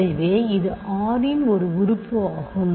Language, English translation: Tamil, So, it is an element of c